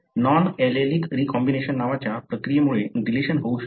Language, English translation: Marathi, Let us first take what is called as a non allelic recombination leading to large deletions